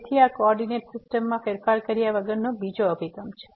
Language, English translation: Gujarati, So, this is another approach without changing to the coordinate system